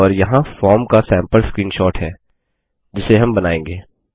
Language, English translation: Hindi, And, here is a sample screenshot of the form we will design